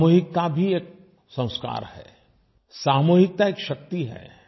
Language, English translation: Hindi, Collectivity is also a way of life, collectivity is power in itself